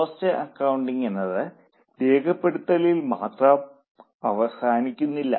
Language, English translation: Malayalam, So, cost accounting doesn't just stop at recording